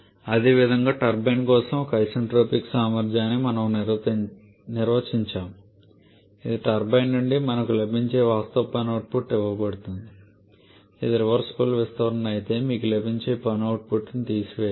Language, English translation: Telugu, Similarly we define an isentropic efficiency for the turbine which is given as actual work output that we are getting from the turbine minus the work output that you should have got if it is a reversible expansion